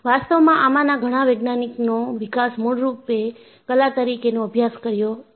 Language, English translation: Gujarati, In fact, many of these scientific developments was originally practiced as Art